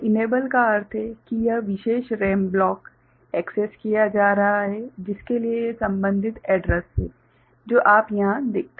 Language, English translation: Hindi, So, enable means this particular RAM block is being accessed and for which this is the corresponding address what you see over here